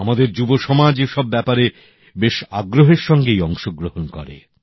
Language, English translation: Bengali, Our young generation takes active part in such initiatives